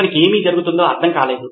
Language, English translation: Telugu, He just did not understand what is going on